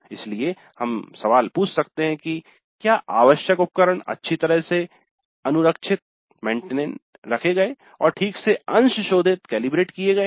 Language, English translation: Hindi, So we can ask the question required equipment was well maintained and calibrated properly